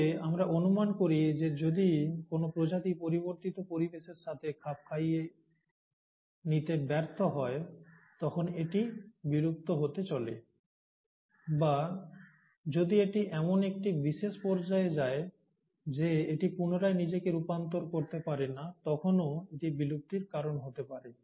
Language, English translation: Bengali, But, we speculate that if a species fails to adapt itself to a changing environment, it's going to become extinct, or if it specializes to such a point that it cannot re adapt itself, then also it can undergo a cause of extinction